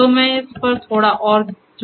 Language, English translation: Hindi, So, I will add a little more onto this